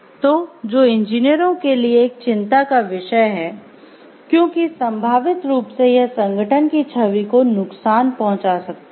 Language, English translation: Hindi, So, that which are becoming of concern for the engineers, because it may potentially harm the image of the organization as a whole